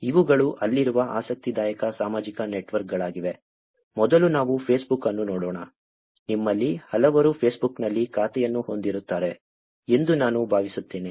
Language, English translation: Kannada, These are the interesting social networks that are there, first let us look at Facebook, I am assuming that many of you would have account in Facebook